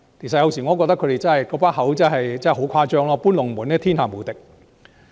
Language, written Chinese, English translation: Cantonese, 有時候，我覺得他們說的話真的十分誇張，"搬龍門"是天下無敵。, Sometimes I consider their comments extreme exaggerations and they are unrivalled in the whole world for moving the goalposts